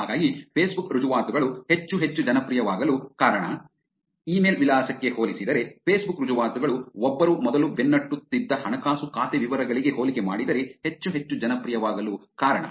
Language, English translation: Kannada, So that is the reason why Facebook credentials are also becoming more and more popular, compared to the email address, compare to the financial account details that one was also chasing before